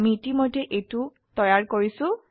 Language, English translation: Assamese, I have already created it